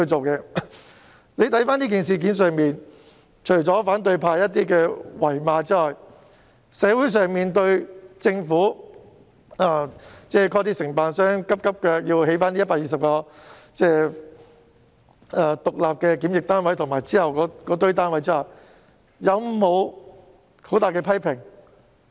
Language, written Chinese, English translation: Cantonese, 就今次的事件，除了反對派的謾罵外，對於政府物色承辦商迅速興建120個獨立檢疫單位及其後一些單位，社會有否大肆批評？, In this case except for the derision from the opposition were there severe criticisms in society when the Government identified contractors to swiftly produce 120 separate quarantine units and some other units subsequently?